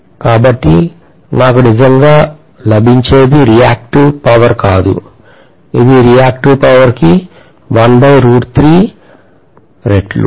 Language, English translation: Telugu, So what I get is not really the reactive power, it is 1 by root 3 times the reactive power